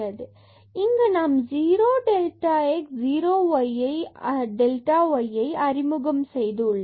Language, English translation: Tamil, So, we have just introduced here 0 times delta x and 0 times delta y